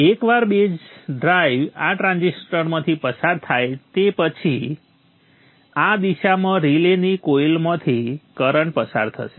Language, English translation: Gujarati, Once a base drive flows through this transistor there will be a current flow through the coil of the relay in this direction